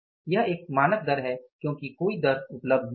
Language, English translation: Hindi, This is a standard rate because no rate is available